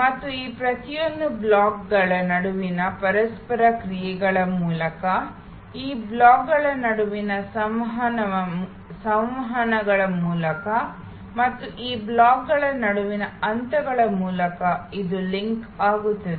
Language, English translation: Kannada, And this will be link through a series of steps through interactions with each of these, through interactions between these blocks and among these blocks